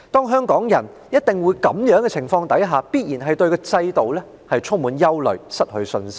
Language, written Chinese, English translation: Cantonese, 香港人在這樣的情況下，必然會對制度充滿憂慮，失去信心。, Under this circumstance Hong Kong people will inevitably feel worried about the MPF System and lose confidence in it